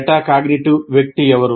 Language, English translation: Telugu, So who is a metacognitive person